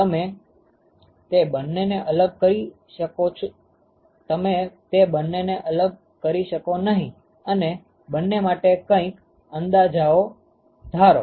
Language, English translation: Gujarati, You cannot completely separate the two and assume make some approximations for each of them